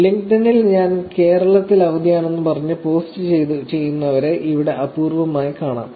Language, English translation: Malayalam, Here, I mean, you will rarely find people posting on LinkedIn and saying I am having vacation in Kerala